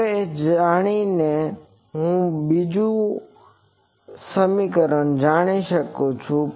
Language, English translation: Gujarati, Now, knowing this I know the second